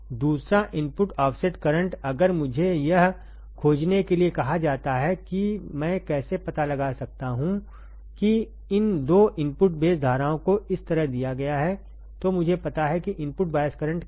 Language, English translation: Hindi, Second input offset current if I am asked to find this how can I find this the 2 input base currents are given like this right now I know input bias current what is the formula